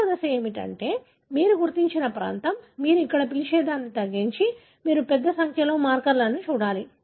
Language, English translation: Telugu, The second step is that the region that you identified narrowed down what you call here you need to look at large number of markers in that